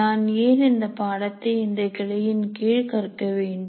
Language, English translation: Tamil, Why am I learning a particular course in this branch